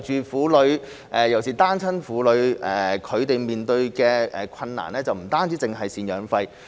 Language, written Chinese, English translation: Cantonese, 婦女尤其是單親婦女面對的困難，不僅涉及贍養費的問題。, The difficulties faced by women especially single mothers are not limited to maintenance payments